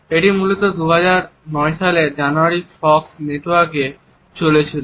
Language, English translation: Bengali, It originally ran on the Fox network in January 2009